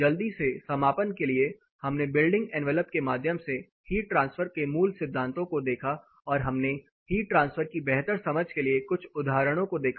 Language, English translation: Hindi, To quickly wrap up we looked at the fundamentals of heat transfer through building envelop and we looked at few applied examples for a better understanding of heat transfer